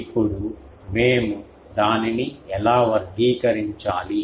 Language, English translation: Telugu, Now, how to do we characterize that